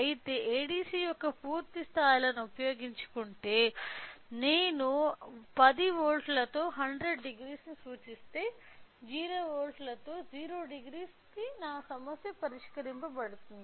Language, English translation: Telugu, But, whereas, if to utilise the complete levels of ADC, if I represent 100 degrees with 10 volts so, whereas, 0 degree with 0 volts my problem would be solved